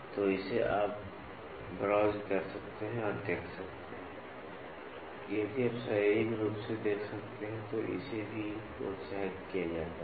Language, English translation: Hindi, So, this you can browse through and get to see or if you can physically see that is also encouraged